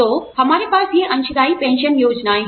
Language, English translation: Hindi, So, we have these contributory pension plans